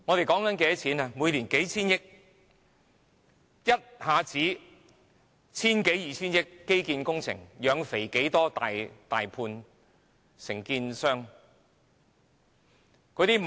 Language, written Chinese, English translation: Cantonese, 基建工程一下子要千多二千億元，"養肥"多少大判承建商？, How many contractors were fattened by infrastructure projects costing some 100 billion each?